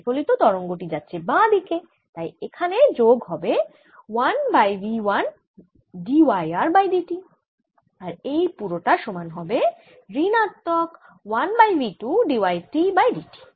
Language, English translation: Bengali, incident wave is coming from left to right and therefore this is minus one over v one d y i by d t